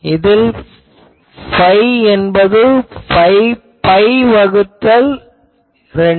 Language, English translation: Tamil, So, that is nothing but phi is equal to pi by 2